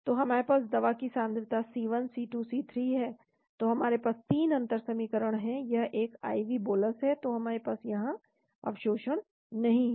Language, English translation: Hindi, So we have concentrations of the drug C1, C2, C3, so we have 3 differential equation, this is a IV bolus, so we do not have the absorption here